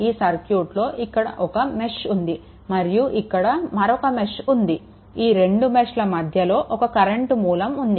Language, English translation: Telugu, Because, one this is mesh this is, mesh and these two mesh in between one current source is there